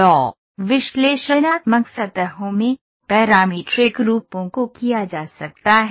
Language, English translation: Hindi, So, in analytical surfaces, parametric forms can be done